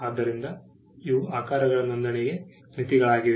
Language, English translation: Kannada, So, these are limits to the registration of shapes